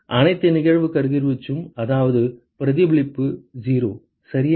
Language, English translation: Tamil, All incident radiation which means that reflection is 0 right